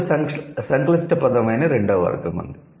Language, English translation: Telugu, Then there is the second category which is the complex word